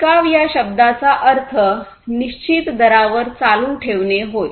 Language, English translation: Marathi, So, the term sustainability means to continue at a fixed rate